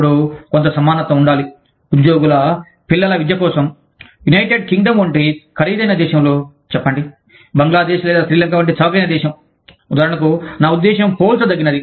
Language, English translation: Telugu, Then, that there has to be some parity between, how much you spend on the education of, say, children of employees, in an expensive country like, say, the United Kingdom, versus, an inexpensive country like, say, Bangladesh or Srilanka, for example, i mean, comparably